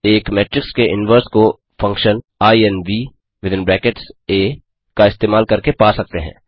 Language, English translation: Hindi, The inverse of a matrix can be found using the function inv